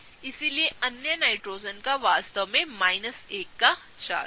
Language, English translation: Hindi, So, the other Nitrogen’s actually have a charge of minus 1 each, right